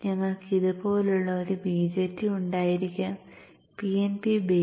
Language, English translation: Malayalam, So we could have a BJT something like this, PNP based